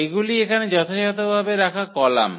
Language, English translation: Bengali, These are the precisely the columns here